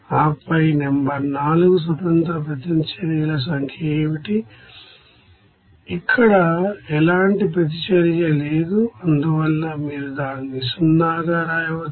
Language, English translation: Telugu, And then number 4 what will be the number of independent reactions, here there is no reaction, so you can write it will be 0